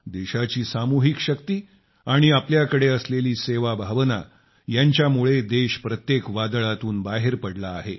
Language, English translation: Marathi, Her collective strength and our spirit of service has always rescued the country from the midst of every storm